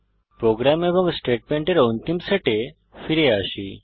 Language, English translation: Bengali, Coming back to the program and the last set of statements